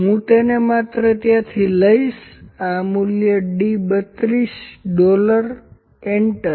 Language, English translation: Gujarati, I will just pick it from there this value d 32 dollar enter